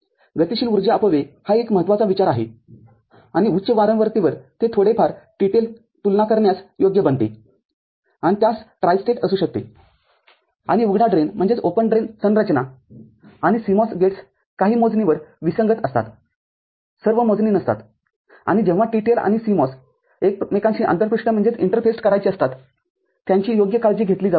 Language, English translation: Marathi, Dynamic power dissipation is the important consideration and it becomes a bit TTL comparable at higher frequency and it can have tristate and open drain configuration and TTL and CMOS gates are incompatible on few counts, not all the counts and that can be appropriately taken care of when TTL and CMOS gates are to be interfaced with one another